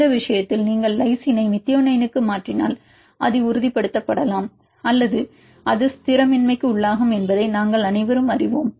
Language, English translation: Tamil, In this case we are all know if you change the lysine to methionine it may stabilize or it may destabilize